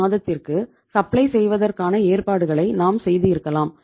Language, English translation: Tamil, We have supply arrangements at least for 1 month